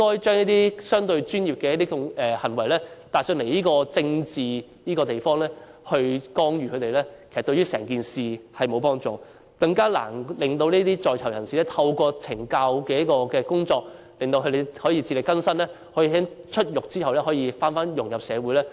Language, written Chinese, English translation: Cantonese, 將一些相對專業的行為帶來這個政治的地方加以干預，對事情沒有幫助，令在囚人士更難透過懲教工作自力更生，在出獄後再融入社會。, The act of bringing relatively professional decisions to this political venue is not conducive to improving the situation; worse still it only makes it even more difficult for persons in custody to rehabilitate through correctional services and reintegrate into society after their release